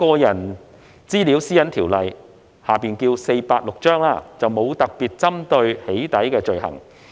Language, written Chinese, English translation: Cantonese, 現時《私隱條例》並沒有特別針對"起底"的罪行。, At present PDPO does not include any offence specifically targeting doxxing